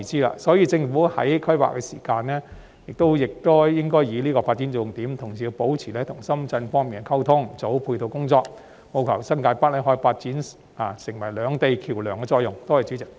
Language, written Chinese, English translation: Cantonese, 因此，政府在規劃時應該以此為發展重點，同時亦要保持與深圳方面溝通，做好配套工作，務求令新界北可以發揮接連兩地的橋樑作用。, Therefore the Government should put this as the focus of development in its planning and at the same time maintain communication with Shenzhen and work on the ancillary facilities so that New Territories North can play a bridging role between the two places